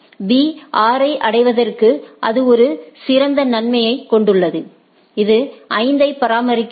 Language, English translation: Tamil, It has a better advantage out here reaching B is 6, it maintains at 5 right